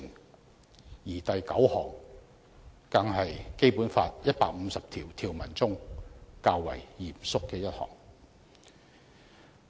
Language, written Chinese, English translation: Cantonese, 第七十三條第九項更是《基本法》150項條文中較為嚴肅的一項。, In particular Article 739 is a rather solemn provision among the 150 provisions of the Basic Law